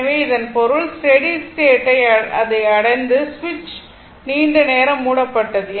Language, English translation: Tamil, So, that means, at steady state it is reached , switch was closed for long time